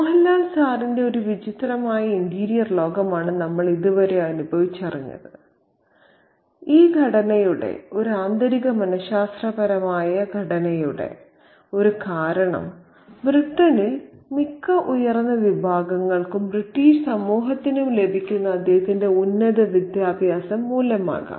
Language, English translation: Malayalam, So, it's a weird interior world of Sir Mohan Lal that we have experienced so far and one of the reasons for this, this structure, this internal psychological structure could be due to his superior within quotes education that most of the upper classes in British society receives in Britain